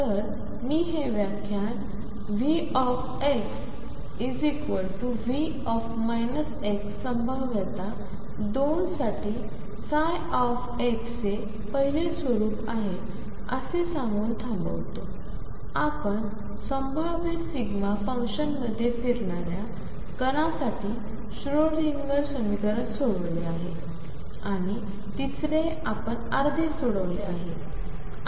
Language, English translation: Marathi, So, let me conclude this lecture by stating that we have looked at the nature of psi x for V x equals V minus x potentials 2, we have solved the Schrodinger equation for a particle moving in a delta function potential and third we have half solved